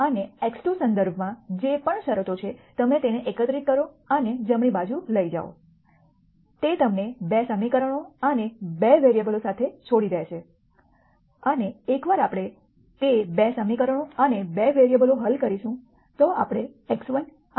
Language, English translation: Gujarati, And whatever are the terms with respect to x 3 you collect them and take them to the right hand side; that would leave you with 2 equations and 2 variables and once we solve for that 2 equations and 2 variables we will get values for x 1 and x 3 x 2